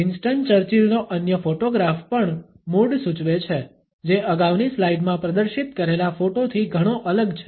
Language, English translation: Gujarati, Other photograph of Winston Churchill also suggests a mood which is very different from the one displayed in the previous slide